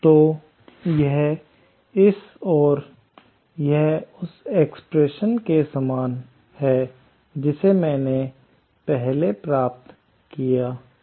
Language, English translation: Hindi, So, this expression is equal to this, which is same as the expression that I derived earlier